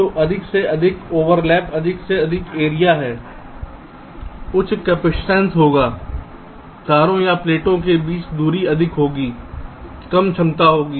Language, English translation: Hindi, so greater the overlap, greater is the area, higher will be the capacitance, greater the distance between the wires or the plates, lower will be the capacities